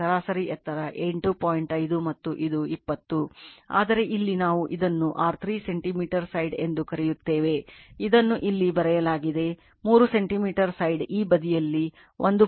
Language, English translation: Kannada, 5 and this is 20, but see here what we call it is your 3 centimeter side it is written here, 3 centimeter side with this side 1